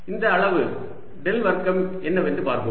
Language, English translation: Tamil, let see what this quantity del square is